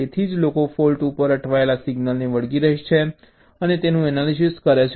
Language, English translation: Gujarati, that is why people stick to a single stuck at fault and analyse them